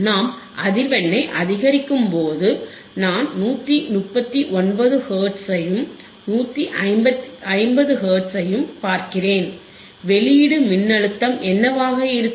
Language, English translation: Tamil, and y You see that slowly when we increase the frequency, I see 139 Hertz, stop it here 150 Hertz and for 150 Hertz, what is output voltage output voltage